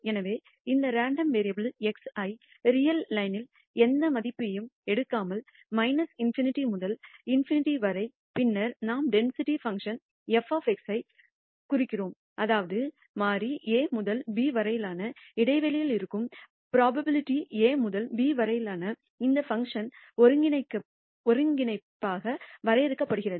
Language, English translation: Tamil, So, let us call this random variable x which can take any value in the real line from minus in nity to in nity, then we de ne the density function f of x, such that the probability that the variable lies in an interval a to b is de ned as the integral of this function from a to b